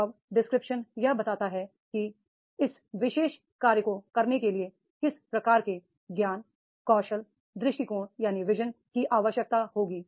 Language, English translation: Hindi, Job description is that is the what type of the knowledge, skill, attitude is required to perform this particular job